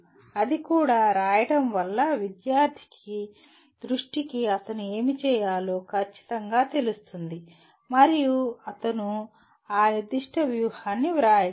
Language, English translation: Telugu, That itself, writing that itself will bring the attention of the student to what exactly he needs to do and he can write down that particular strategy